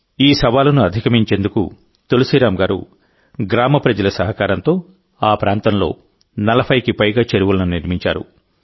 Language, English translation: Telugu, To overcome this challenge, Tulsiram ji has built more than 40 ponds in the area, taking the people of the village along with him